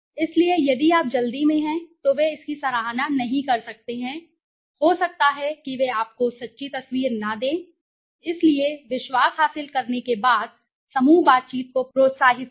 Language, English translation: Hindi, So if you are in a hurry, then they might not appreciate it, they might not give you the true picture, so encourage group interaction right after gaining trust